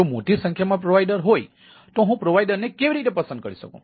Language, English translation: Gujarati, if there a number of provider, then how do i choose the provider